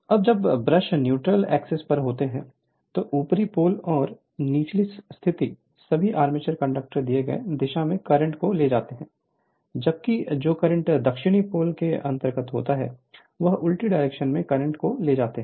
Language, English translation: Hindi, Now when the brushes are on the neutral axis all the armature conductors lying under the north pole carrying currents in a given direction while those lying under south pole carrying currents in the reverse direction right